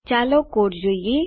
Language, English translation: Gujarati, Lets look the code